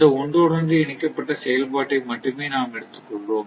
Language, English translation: Tamil, So, we will only restrict to the interconnected operation of this one